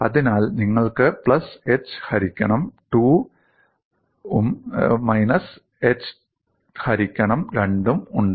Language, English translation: Malayalam, So you have plus h by 2, minus h by 2, at h by 2